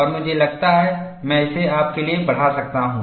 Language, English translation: Hindi, And I think, I can magnify this for you